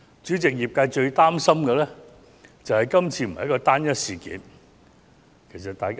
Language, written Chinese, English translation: Cantonese, 主席，業界最擔心的，是這次並非"單一事件"。, President the major concern of the industry is that this is not a single incident